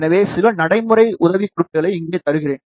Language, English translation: Tamil, So, let me give you some practical tips over here